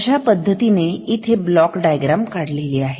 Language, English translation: Marathi, So, these we have drawn as block diagrams